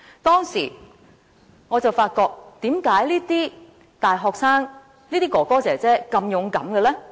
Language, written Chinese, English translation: Cantonese, 當時，我在想：為何這些大學生、哥哥姐姐們會如此勇敢呢？, Back then I pondered Why could these university students elder brothers and sisters have such courage?